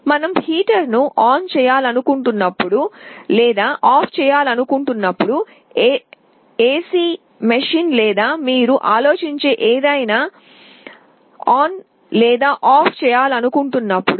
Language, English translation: Telugu, We may want to turn on or turn off a heater, we want to turn on or turn off our AC machine or anything you can think of